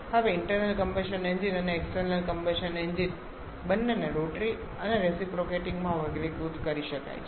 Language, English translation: Gujarati, Now both internal combustion engines and external combustion engines can be classified into rotary and reciprocating